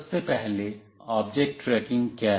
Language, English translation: Hindi, Firstly, what is object tracking